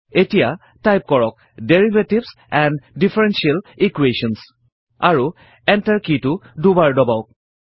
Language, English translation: Assamese, Now type Derivatives and Differential Equations: and press the Enter key twice